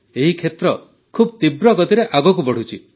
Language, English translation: Odia, This sector is progressing very fast